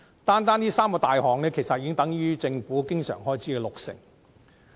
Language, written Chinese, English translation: Cantonese, 單單這三大項目的支出，其實已等於政府經常性開支總額的六成。, The expenditure of these three major items accounts for 60 % of the Governments total recurrent expenditure